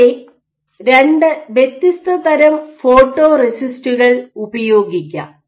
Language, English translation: Malayalam, So, in this context there are two different types of photoresist which are possible